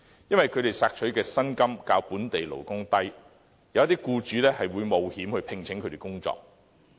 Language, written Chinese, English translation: Cantonese, 因為他們索取的薪金較本地勞工低，有些僱主會冒險聘請他們工作。, Given that they ask for a lower wage than the wage local workers ask for some employers may take the risk and employ them